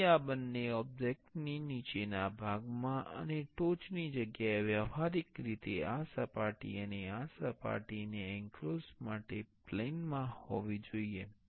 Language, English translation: Gujarati, So, to place these two objects to the bottom part and top place in place, practically this surface, this surface, and this surface should be in a plane for the enclosure